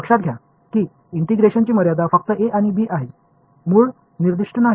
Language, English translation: Marathi, Notice that the limits of the integration are simply a and b, the root is not being specified ok